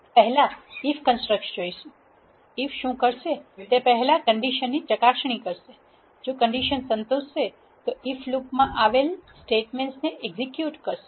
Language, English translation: Gujarati, First look at if construct, what if does is if checks for a condition if the condition is satisfied it will execute the statements that are in the if loop